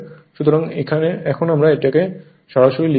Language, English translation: Bengali, So, directly we are writing